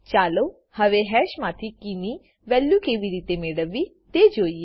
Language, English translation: Gujarati, Let us see how to get the value of a key from hash